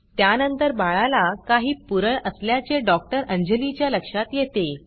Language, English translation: Marathi, Dr Anjali then points out that the baby has some rashes